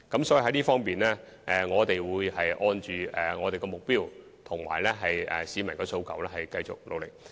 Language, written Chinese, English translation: Cantonese, 所以，在這方面，我們會按既定目標及市民的訴求繼續努力。, Therefore we will keep up our efforts in this connection to achieve various established objectives and respond to public aspirations